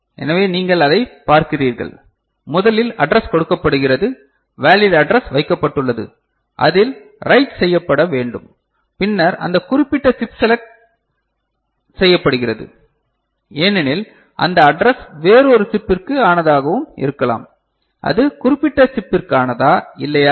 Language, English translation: Tamil, So, what you see that, first address is made you know, a valid address is put on which where the writing needs to be done ok, then that particular chip is selected because that address could belong to some other you know chip also ok whether it is meant for that specific chip or not And, then the write operation